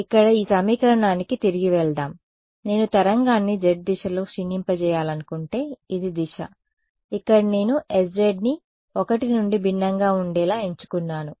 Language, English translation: Telugu, So, let us go back to this equation over here this was if I wanted to decay a wave in the z direction right this was the z direction over here I chose an s z to be different from 1 correct